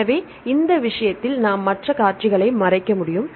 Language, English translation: Tamil, So, in this case, we can cover to other sequences